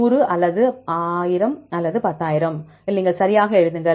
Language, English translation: Tamil, In 100 or 10,000 1,000 anything you write right